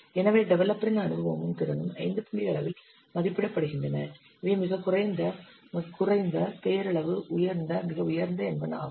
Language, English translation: Tamil, So the developers experience and the capability, they are rated as like one five point scale, very low, low, nominal, high, very high